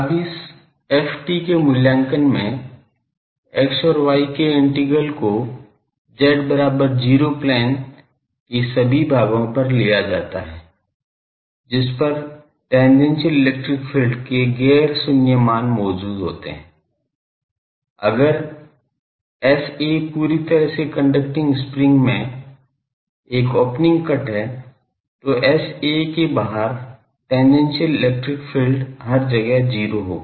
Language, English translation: Hindi, Now, in the evaluation of this ft the integrals over x and y are taken over all portions of the z is equal to 0 plane on which non zero values of the tangential electric field exists, if S a is an opening cut in a perfectly conducting spring then everywhere outside S a will be 0 tangential electric field